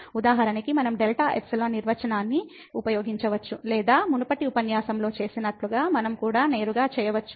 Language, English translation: Telugu, We can use for example, the delta epsilon definition or we can also do directly as we have done in the previous lecture